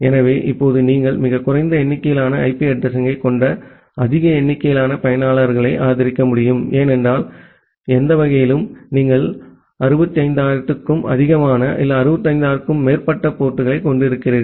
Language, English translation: Tamil, So, that way now you can support more number of users with a very limited number of IP addresses because any way you have around 65000 more than 65000 different number of ports